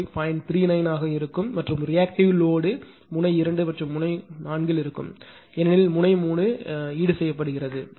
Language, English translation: Tamil, 39 and reactive load will be your node 2 and ah node 4 because 3 is compensated right